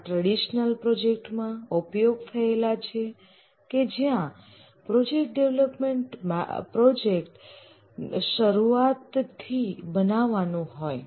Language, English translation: Gujarati, This have been used for traditional projects where the project is a product development project starting from scratch